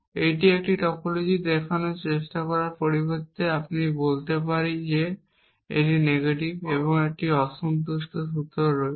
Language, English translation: Bengali, Instead of trying to show that it is a topology I can say that take it is negation and that there is a unsatisfiable formula